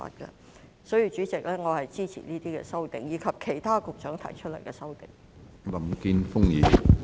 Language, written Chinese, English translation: Cantonese, 因此，主席，我支持這些修正案及局長提出的其他修正案。, Therefore Chairman I support these amendments and the other amendments proposed by the Secretary